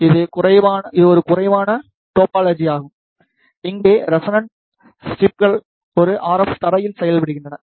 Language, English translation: Tamil, This is a wireless topology, here the resonant strips X is a RF ground